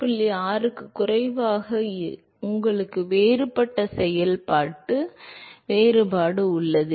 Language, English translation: Tamil, 6 you have a different functional difference